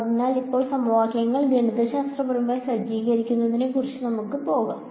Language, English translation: Malayalam, So, now, we will go about setting up these equations mathematically